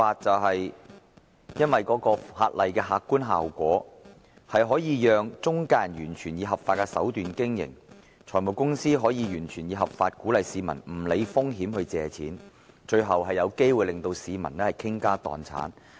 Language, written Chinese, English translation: Cantonese, 法例的客觀效果，就是中介人可以完全以合法手段經營，財務公司亦可以完全合法地鼓勵市民無須理會風險，向他們借貸，最後有機會令市民傾家蕩產。, An objective result of the legislation is that intermediaries can operate by entirely lawful tactics and it is also completely lawful for finance companies to encourage members of the public to borrow money from them with no regard to the risk thus making it possible for members of the public to lose all their money and assets in the end